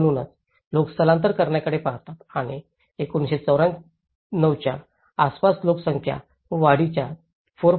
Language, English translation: Marathi, So, that is how people tend to migrate and about 1994 when we see the migration, out of 4